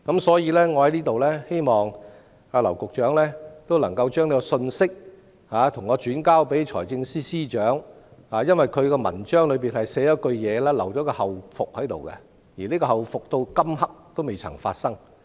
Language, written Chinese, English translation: Cantonese, 所以，在這裏我希望劉局長將這個信息轉給財政司司長，因為他的公布裏有這樣一句，留有後續，但這個後續到這一刻仍未發生。, Therefore here I hope that Secretary LAU will pass this message to the Financial Secretary . When making the announcement he has put down such a line to entrust AA with a follow - up task . However the task has yet to be handled as of now